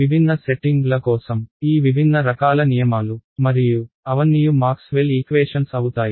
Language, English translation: Telugu, These different kind of different laws for different settings, the overall laws are the same which are Maxwell’s equations